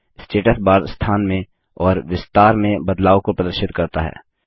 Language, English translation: Hindi, The Status bar shows the change in position and dimension of the object